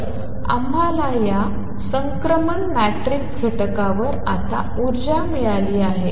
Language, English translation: Marathi, So, we have got on these transition matrix element now energy